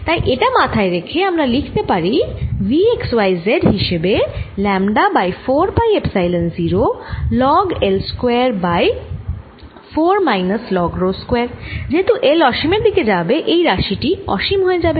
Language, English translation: Bengali, so i can write all that as v, x, y, z equals lambda over four, pi, epsilon zero log, l square by four minus log rho square, as i will tells, to infinity